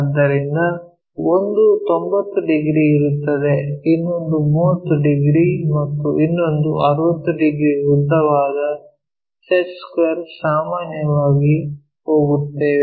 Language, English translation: Kannada, So, one of the angle is 90 degrees, other one is 30 degrees, other one is 60 degrees, the long set square what usually we go with